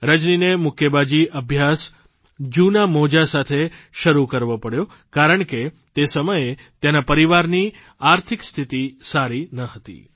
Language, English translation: Gujarati, Rajani had to start her training in boxing with old gloves, since those days, the family was not too well, financially